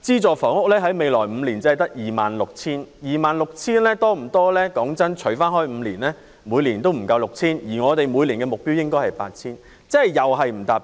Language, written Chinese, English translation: Cantonese, 但是，未來5年的資助房屋單位只有 26,000 個，除以5年，每年不足 6,000 個，而我們的目標是每年 8,000 個，即又未能達標。, However only 26 000 subsidized housing units will be available in the next five years . Dividing the number of units by five years fewer than 6 000 units will be available each year falling short of our target of 8 000 units per year again